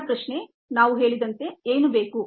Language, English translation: Kannada, first question, as we said, was: what is needed